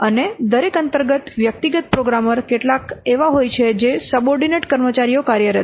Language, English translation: Gujarati, And under each individual programmer, there are some subordinate staffs are working